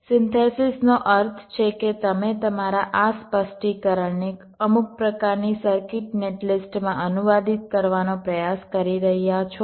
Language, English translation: Gujarati, synthesis means you are trying to translate your simu, your this specification, into some kind of circuit net list